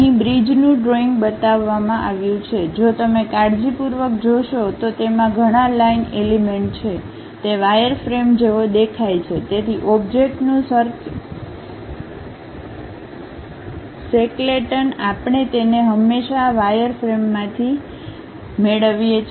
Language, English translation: Gujarati, Here a picture of bridge is shown, if you look at carefully it contains many line elements, it looks like a wireframe